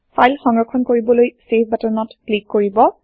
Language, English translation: Assamese, Now, let us save the file by clicking on the Save button